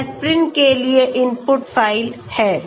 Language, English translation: Hindi, This is the input file for aspirin okay